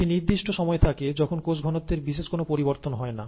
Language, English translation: Bengali, You have a certain time when there is not much of an increase in cell concentration